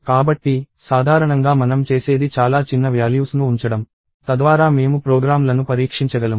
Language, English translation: Telugu, So, usually what we do is we keep the values which are very small, so that we can test the programs